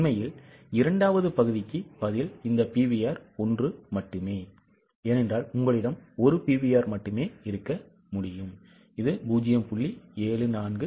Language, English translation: Tamil, Actually, answer for the second part, that is this PVR is only one because you can have just one PVR which is 0